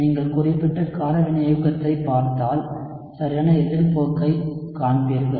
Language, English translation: Tamil, And if you look at the specific base catalysis, you would see the exact opposite trend